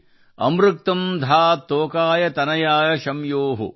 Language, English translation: Kannada, amritkam dhaat tokay tanayaaya shyamyo |